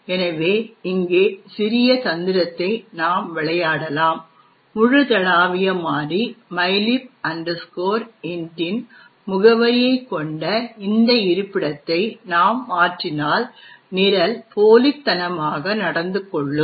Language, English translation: Tamil, So, we can actually play a small trick over here, if we modify this particular location which contains the address of the global variable mylib int, we can actually cost the program to behave spuriously